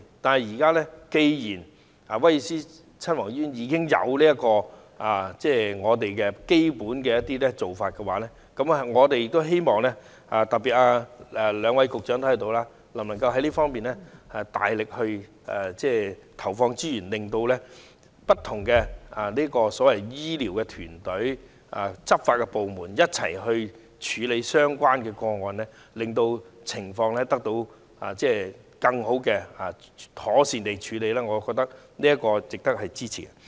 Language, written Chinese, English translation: Cantonese, 但是，現在既然威爾斯親王醫院已經提供這方面的一站式支援服務，我們希望政府，特別是在席的兩位局長，在這方面大力投放資源，令不同的醫療團隊、執法部門可以一同處理這些個案，令受害人獲得更妥善的服務，我認為這值得支持。, Now given that the Government has provided a one - stop support service at the Prince of Wales Hospital we hope that it especially the two Secretaries of Departments here can deploy more resources in this area for different medical teams and law enforcement departments to jointly handle these cases thereby providing better services for the victims . I hold that this is worth our support